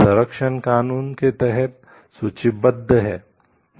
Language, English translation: Hindi, Protection is registered under law